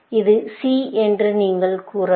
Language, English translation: Tamil, You could say that it is C